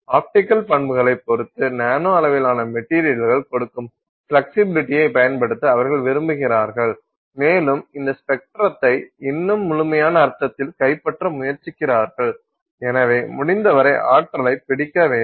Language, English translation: Tamil, They would like to use the kind of flexibility that nanoscale materials give with respect to optical properties to try and capture more and more of this spectrum in a more complete sense and therefore capture as much of the energy as possible